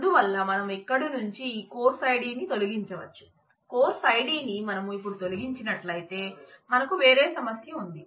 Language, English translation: Telugu, So, we can can we remove this course id from here, well if we remove the course id now we have a different problem